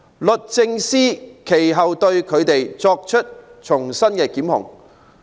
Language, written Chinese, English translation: Cantonese, 律政司其後對他們重新作出檢控。, Later on DoJ instituted prosecutions against them afresh